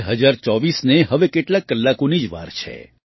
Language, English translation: Gujarati, 2024 is just a few hours away